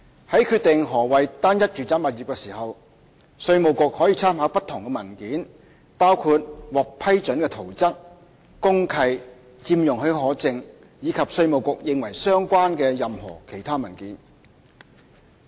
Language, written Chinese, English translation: Cantonese, 在決定何謂單一住宅物業時，稅務局可參考不同文件，包括獲批准的圖則、公契、佔用許可證，以及稅務局認為相關的任何其他文件。, In determining what constitutes a single residential property the Inland Revenue Department IRD may take into account various documents including approved building plans deed of mutual covenant occupation permit and any other document that IRD considers relevant